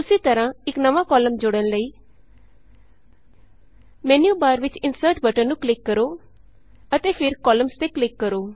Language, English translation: Punjabi, Similarly, for inserting a new column, just click on the Insert button in the menu bar and click on Columns